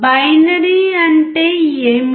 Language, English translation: Telugu, What is binary